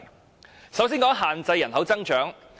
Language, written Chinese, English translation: Cantonese, 我首先談限制人口增長。, I will first speak on restricting population growth